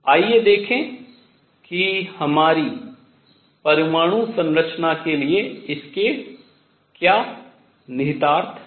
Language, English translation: Hindi, Let us see what are its is implications for our atomic structure